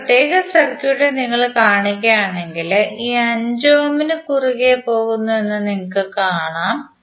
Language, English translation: Malayalam, If you see this particular circuit then you will see that this 5 ohm is cutting across